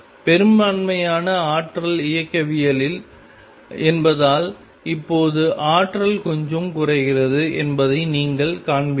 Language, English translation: Tamil, And since the majority of energy is kinetic you will see that now the energy gets lowered a bit